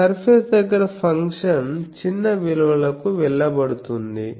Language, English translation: Telugu, So, near that surface the function is bound to go to small values